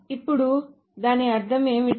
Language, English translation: Telugu, Now what does that mean